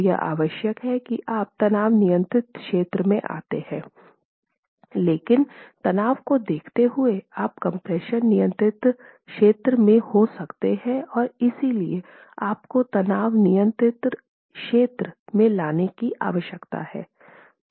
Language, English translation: Hindi, So it is required that you fall into the tension control region, but given the state of stresses, you could be in the compression control region and therefore you need to bring it into the tension control region